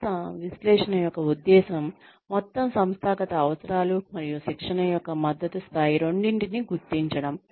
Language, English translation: Telugu, The purpose of organization analysis, is to identify both overall organizational needs and the level of support of training